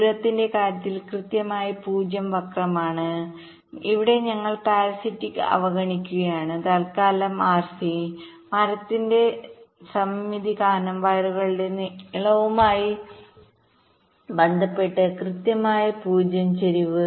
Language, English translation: Malayalam, well, in terms of the distance, here we are ignoring the parasitics rc for the time being exact zero skew with respect to the length of the wires because of the symmetry of the tree